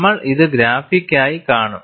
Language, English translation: Malayalam, We would see this graphically